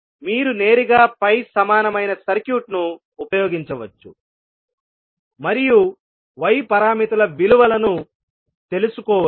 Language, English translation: Telugu, You can directly use the pi equivalent circuit and find out the value of y parameters